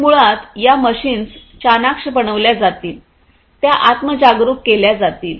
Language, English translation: Marathi, So, basically what will happen is these machines will be made smarter, they would be made self aware